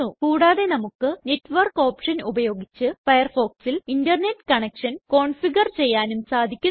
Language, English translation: Malayalam, We can also configure the way Firefox connects to the Internet using the Network option